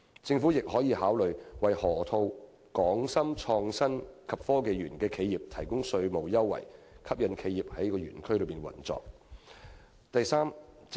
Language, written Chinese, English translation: Cantonese, 政府亦可考慮為河套區"港深創新及科技園"的企業提供稅務優惠，吸引企業在該園區營運。, The Government can also consider offering tax concessions to enterprises in the Hong Kong - Shenzhen Innovation and Technology Park in the Loop so that more businesses will operate there